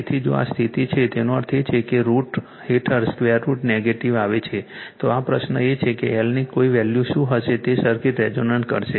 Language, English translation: Gujarati, So, if this condition is there; that means, under root comes square root of is negative then this question is what there will be no value of l will make the circuit resonance right